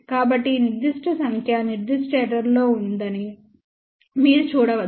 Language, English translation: Telugu, So, you can see that this particular number is within that particular error